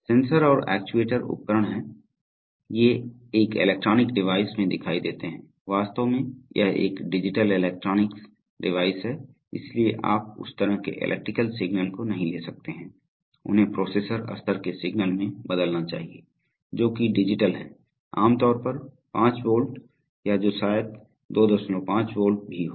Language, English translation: Hindi, The sensors and actuators are the devices, so these appears in an electronic device, it is actually a digital electronic device, so you, as such cannot take in that kind of electrical signal, so it must convert them to processor level signals, which are, which are digital, typically five volt or maybe 2